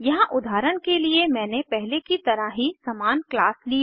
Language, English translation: Hindi, Here I have taken the same class as before as an example